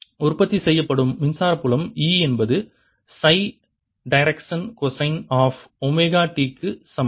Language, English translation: Tamil, that electric field produced is equal to e in that phi direction, cosine of omega t, and that is what you observe